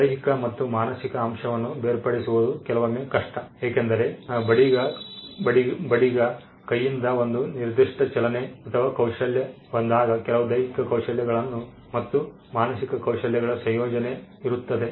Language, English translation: Kannada, It is sometimes hard to segregate the physical and mental element, because when there is a particular move or a skill that comes out of the carpenter’s hand; there is a combination of certain physical skills and mental skills